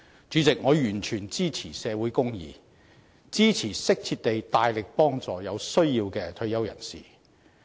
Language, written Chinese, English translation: Cantonese, 主席，我完全支持社會公義，支持適切地大力幫助有需要的退休人士。, President I fully support social justice . I also support making vigorous efforts to provide proper assistance to retirees in need